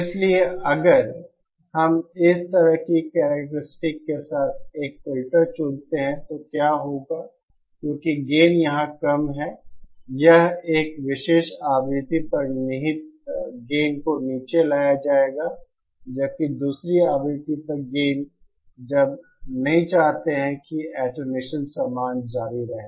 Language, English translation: Hindi, So if we choose a filter with a characteristics like this, what will happen is because the gain is low over here, this gain the inherent gain at a particular frequency will be brought down while the gain at the other frequency when we donÕt want it to be attenuated will continue remaining the same